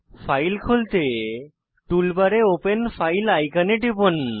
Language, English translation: Bengali, To open the file, click on Open file icon on the tool bar